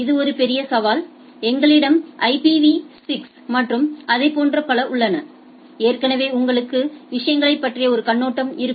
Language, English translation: Tamil, This is a major challenge and we have IPv6 and so and so forth, already you know a overview of the things